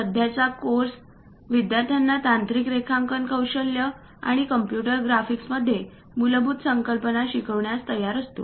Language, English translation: Marathi, The present course prepares the students to learn the basic concepts involved in technical drawing skills and computer graphics